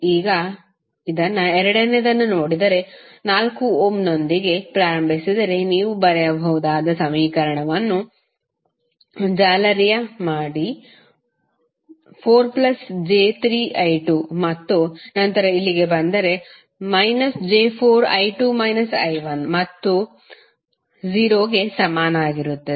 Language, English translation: Kannada, Now, if you see this the second mesh the equation you can write if you start with 4 ohm you can say 4 into I 2 plus 3j into I 2 and then you come here minus 4j into I 2 minus I 1 and that would be equal to 0